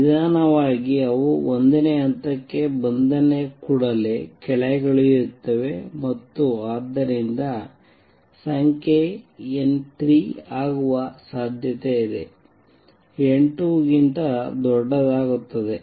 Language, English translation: Kannada, As slowly they come down as soon as they come down to level one and therefore, there is a possibility that number n 3 would become greater than n 2